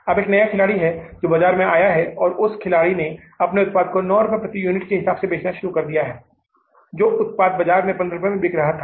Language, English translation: Hindi, Now there is a new player which has come up in the market and that player has started selling their product at 9 rupees per unit